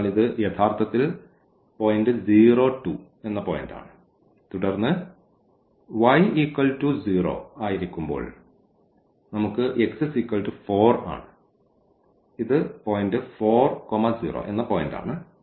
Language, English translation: Malayalam, So, this is actually the point 2 0 and then we have when y is 0 the x is 4 so, this is the point 4 and 0